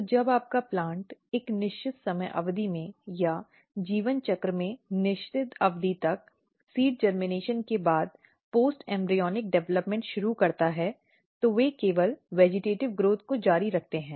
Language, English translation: Hindi, So, when your plant start post embryonic development after seed germination at a certain time period or up to certain period of time in the life cycle they only continue the vegetative growth